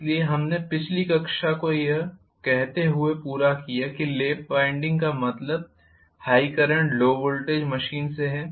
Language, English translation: Hindi, So we just completed the last class saying that lap winding is meant for high current low voltage machine